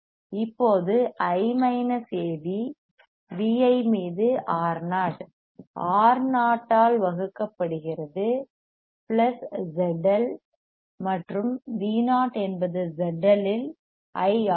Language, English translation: Tamil, I is nothing, but minus A V VI upon R o divided by Z L R o plus Z LL and V o is nothing, but I into Z L right